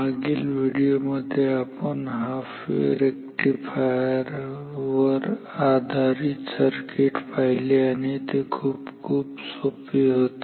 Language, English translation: Marathi, So, in our last video we have talked about half wave rectifier base circuits and that was actually very simple